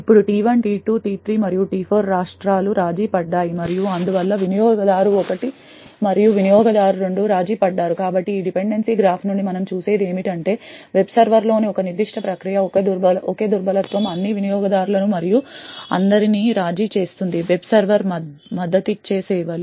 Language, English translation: Telugu, Now the states T1, T2, T3 and T4 are compromised and therefore the user 1 and user 2 are compromised, so what we see from this dependency graph is that a single vulnerability in a particular process in the web server can compromise all users and all services that that web server supports